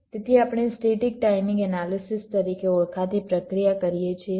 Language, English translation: Gujarati, so we perform a process called static timing analysis